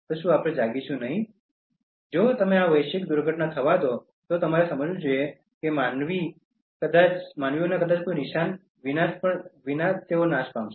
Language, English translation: Gujarati, And if you let this global calamity happen you should realize that human beings maybe wiped out without a trace